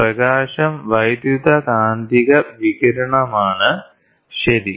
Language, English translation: Malayalam, Light is an electromagnetic radiation, ok